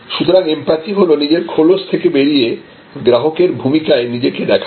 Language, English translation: Bengali, So, empathy is the ability to get out of your own skin and take on the role of the service customer